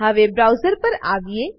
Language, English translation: Gujarati, Now, come to the browser